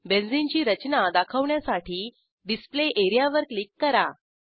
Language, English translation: Marathi, Now click on the Display area to display Benzene structure